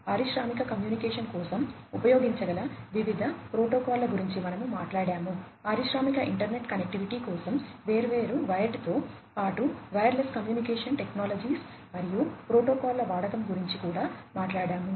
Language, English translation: Telugu, We have talked about different protocols that could be used for industrial communication, we have also talked about the use of different wired as well as wireless communication technologies and protocols, for industrial internet connectivity